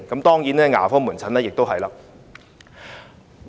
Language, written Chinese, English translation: Cantonese, 當然，牙科門診也是一樣的。, Certainly dental services are also needed